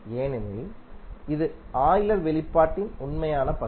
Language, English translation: Tamil, Because this is the real part of our Euler expression